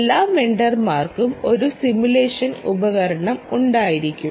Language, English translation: Malayalam, right, every vendor will have a simulation tool